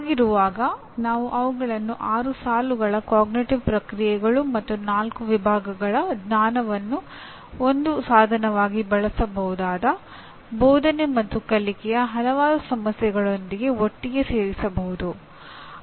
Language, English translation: Kannada, So why not we put them together in a table with six rows of cognitive processes and four categories of knowledge that can serve as a tool with as we said earlier with several issues of teaching and learning